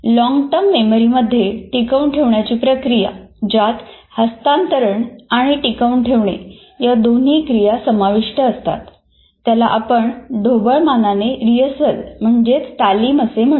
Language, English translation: Marathi, Now we talk about the process of retaining in the long term memory, both transfer as well as retention, what we broadly call rehearsal